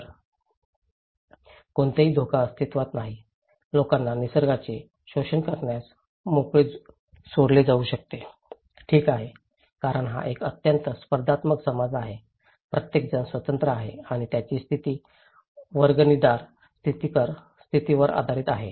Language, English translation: Marathi, So, there is no risk exist, people can be left free to exploit nature, okay because this is a very competitive society okay, everybody is free and their status is based on ascribe status